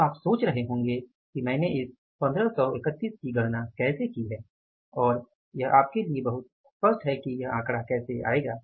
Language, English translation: Hindi, Now you must be wondering that how I have calculated this 1531 and this is very clear to you that how this figure will come up